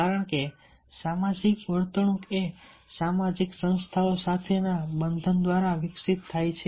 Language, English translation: Gujarati, because the social behavior adopts by bonding with social institutions